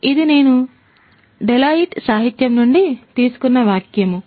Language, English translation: Telugu, This is a quote that I have taken from a Deloitte literature